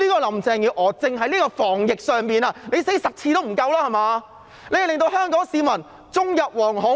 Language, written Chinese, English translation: Cantonese, 林鄭月娥單單在防疫的表現已經死10次也不夠，令香港市民終日惶恐。, Carrie LAMs anti - epidemic performance has caused Hong Kong people to live in constant fear and this alone is something that she cannot make up for even if she dies 10 times